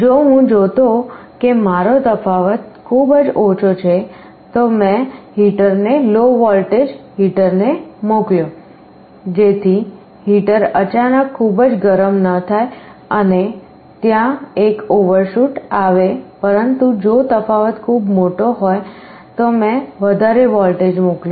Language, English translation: Gujarati, If I see my difference is very small I sent a lower voltage to the heater so that the heater does not suddenly become very hot and there is an overshoot, but if the difference is very large I sent a large voltage